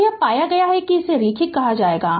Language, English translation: Hindi, You can find that this said to be linear